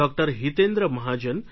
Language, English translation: Gujarati, Hitendra Mahajan and Dr